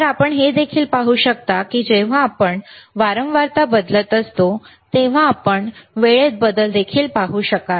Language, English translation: Marathi, So, you can also see that when we are changing frequency, you will also be able to see the change in time